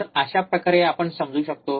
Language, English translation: Marathi, So, this is how we can understand